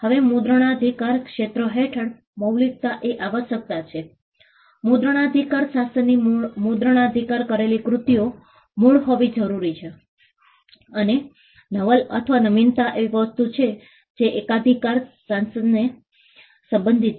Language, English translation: Gujarati, Now originality is a requirement under the copyright region, the copyright regime requires copyrighted works to be original and novel or novelty is something that is relevant to the patent regime